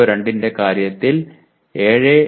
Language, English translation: Malayalam, And CO3 there is a 3